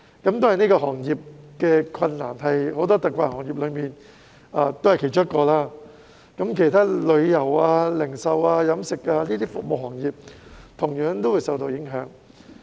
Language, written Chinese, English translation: Cantonese, 當然，這個行業是很多特困行業中的其中一個，其他服務行業如旅遊、零售及飲食等同樣受到影響。, Surely this is only one of the many hard - hit industries . Other service industries such as tourism retail and catering are also affected